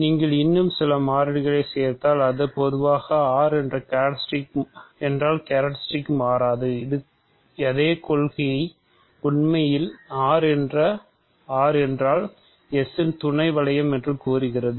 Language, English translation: Tamil, So, the characteristic does not change if you simply add some more variables or in general if R more generally the same principle actually says that if R is a sub ring of S